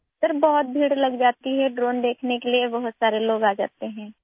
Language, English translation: Urdu, Sir, there is a huge crowd… many people come to see the drone